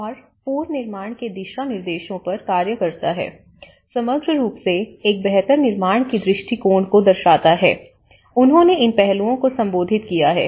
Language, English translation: Hindi, And the policies acts on the guidelines of reconstruction overall reflect a build back better approach, they have addressed these aspects